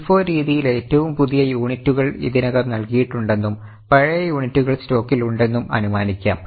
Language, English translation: Malayalam, In LIFO method, it will be assumed that the latest units are already issued and older units will be there in the stock